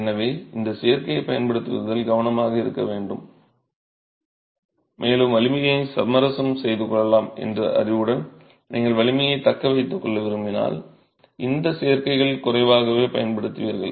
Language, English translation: Tamil, So, one has to be careful in using these additives and with the knowledge that you can compromise strength, if you want to retain strength, you use lesser of these additives